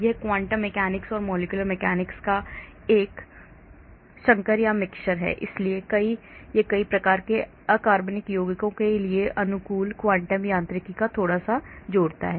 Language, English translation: Hindi, it is a hybrid of quantum mechanics and molecular mechanics so it combines little bit, adds little bit of quantum mechanics adapted to a variety of inorganic compounds